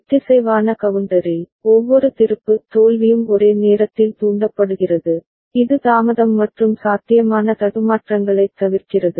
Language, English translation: Tamil, In synchronous counter, every flip flop is triggered simultaneously which avoids the accumulation of delay and possible glitch